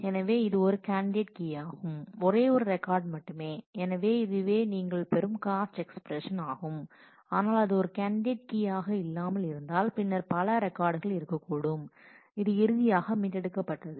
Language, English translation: Tamil, So, it is a candidate key we will need to have we will get only a single record and therefore, this is a cost expression that you will get, but if it is not a candidate key then there could be multiple records that will have to be finally, retrieved